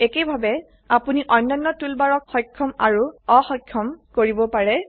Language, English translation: Assamese, Similarly, you can enable and disable the other toolbars, too